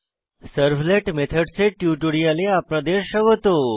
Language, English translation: Bengali, Welcome to the spoken tutorial on Servlet Methods